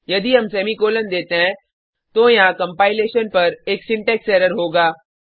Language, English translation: Hindi, If we give the semicolon, there will be a syntax error on compilation